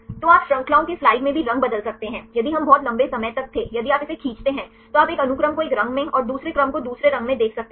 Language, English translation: Hindi, So, you can also change the color in terms of the chains right if we were to this very long if you drag through, then you can see one sequence in one color right and the another sequence in another color